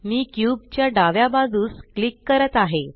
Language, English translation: Marathi, I am clicking to the left side of the cube